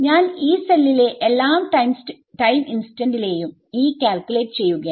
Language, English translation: Malayalam, I am calculating E at every time instant of the Yee cell right